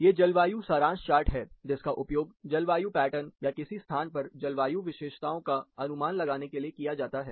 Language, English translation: Hindi, These are typical climate summary charts we call, which is simply used for inferring the climatic pattern, or the climatic characteristics in a given location